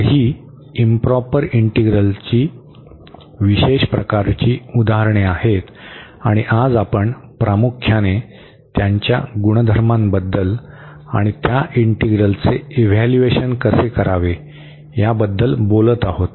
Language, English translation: Marathi, So, these are the special type of examples for improper integrals and today we will be talking about mainly their properties and how to evaluate those integrals